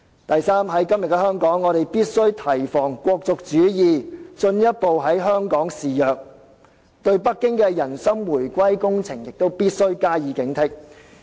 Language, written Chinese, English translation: Cantonese, 第三，今天我們必須提防"國族主義"進一步在香港肆虐，對北京的"人心回歸工程"也必須加以警惕。, Thirdly today we must guard against the further raging of nationalism in Hong Kong and we must be vigilant of Beijings heart - winning projects